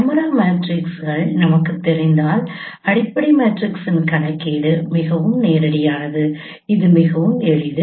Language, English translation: Tamil, If we know the camera matrices then computation of fundamental matrix is very direct